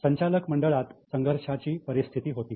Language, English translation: Marathi, There was conflict in the board